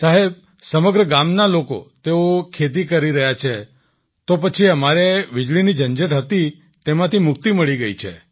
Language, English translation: Gujarati, Sir, the people of the whole village, they are into agriculture, so we have got rid of electricity hassles